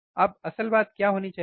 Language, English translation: Hindi, Now what should be the actual thing